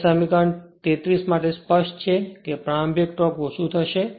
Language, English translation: Gujarati, Now, for equation 33 it is clear that starting current will reduce right